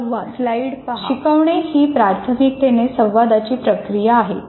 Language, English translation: Marathi, Teaching is primarily a communicative process